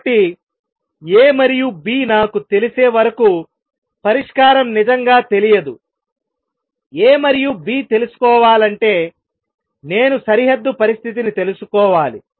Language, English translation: Telugu, So, the solution is not really known until I know A and B; to know A and B, I have to know the boundary condition